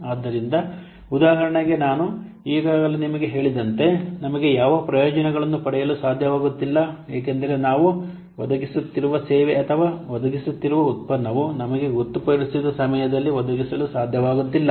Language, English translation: Kannada, So, for example, as I have already told you, we are not able to what, get the benefit because our service we are providing or the product we are providing, we are not able to provide in the designated time